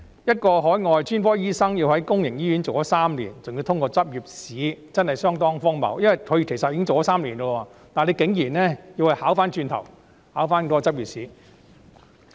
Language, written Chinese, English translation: Cantonese, 一名海外專科醫生要在公營醫院工作3年，還要通過執業資格試，真是相當荒謬，因為他其實已工作3年，但竟然要他回頭考執業資格試。, It is indeed quite absurd to require an overseas specialist not only to work in public hospitals for three years but also to pass the Licensing Examination . This is because despite having worked for three years already he is asked to take a step backward and sit for the Licensing Examination